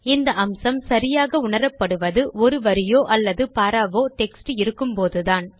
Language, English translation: Tamil, This feature is more obvious when you have a line or paragraph of text